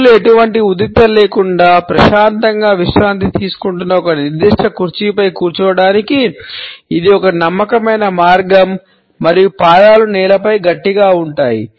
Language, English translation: Telugu, It is a confident way of sitting on a particular chair where arms are resting peacefully without any tension and feet are also planted firmly on the floor